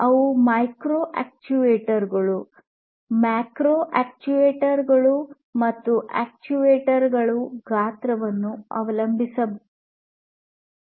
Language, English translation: Kannada, These could be micro actuators, macro actuators, and so on depending on the size of these actuators